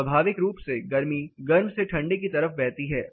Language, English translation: Hindi, Naturally heat flows from the hotter sides to colder side